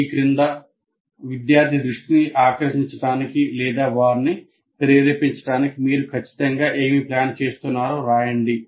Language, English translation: Telugu, Under that you have to write what exactly are you planning to present for getting the attention of the student or motivate them to learn this